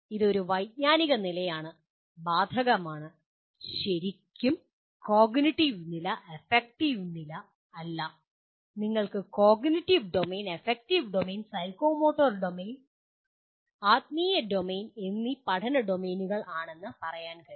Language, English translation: Malayalam, It is a cognitive level, affective, it is not really, domains of learning you can say cognitive domain, affective domain, psychomotor domain and spiritual domain